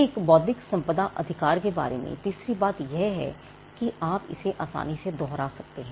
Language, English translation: Hindi, The third thing about an intellectual property right is the fact that you can easily replicate it